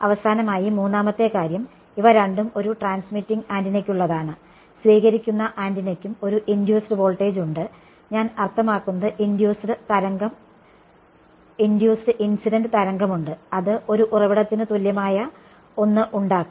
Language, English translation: Malayalam, And finally, the third thing so, these are both for a transmitting antenna, for a receiving antenna also there is an induced voltage I mean induced there is a incident wave that will produce an equivalent of a source